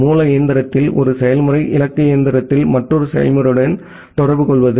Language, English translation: Tamil, One process at the source machine is communicating with another process at the destination machine